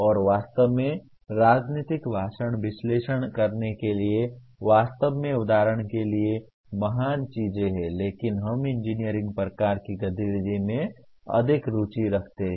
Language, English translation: Hindi, And actually political speeches they are great things to really examples for analyzing but we are more interested in the engineering type of activity